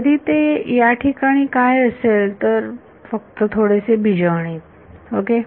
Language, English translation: Marathi, So, what follows now is, little bit of algebra only ok